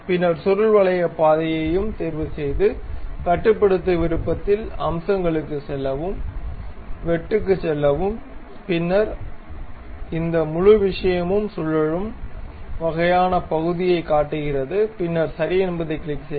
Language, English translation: Tamil, Then pick the helix path also, control, go to features, go to swept cut, then it shows you this entire thing something like revolving kind of portion, and then click ok